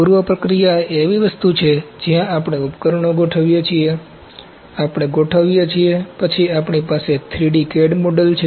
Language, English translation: Gujarati, Preprocessing is something where we setup the equipment, we make a setup ok, then we have 3D CAD model ok